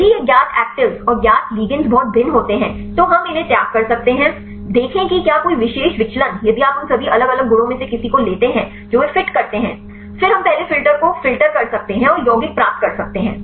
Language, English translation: Hindi, If this known actives and the known ligands vary very much then we can discard, see if any particular deviation if you take any of the all the different properties they fit; then we can filter the make the first filter and get the compounds